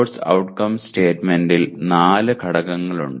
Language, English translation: Malayalam, The Course Outcome statement has four elements